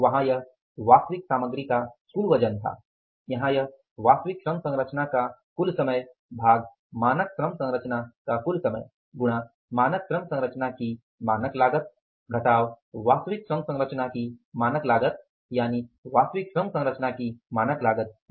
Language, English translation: Hindi, There it was the total weight of the actual material and here it is total time of the actual labor composition divided by the total time of the standard labor composition into standard cost of standard labor composition minus standard cost of the actual labor composition